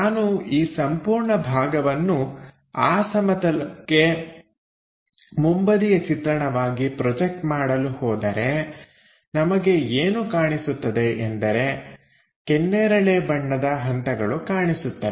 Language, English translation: Kannada, So, if I am going to project this entire part onto that plane as the front view what we will be seeing is this magenta portion as steps